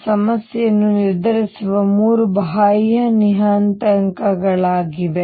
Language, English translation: Kannada, These are the 3 external parameters that determine the problem